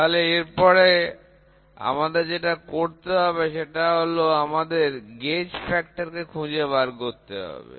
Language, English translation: Bengali, So, from there what we do is we have to now find out something called as a gauge factor, ok